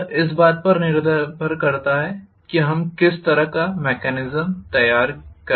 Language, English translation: Hindi, It depends upon what kind of mechanism I have designed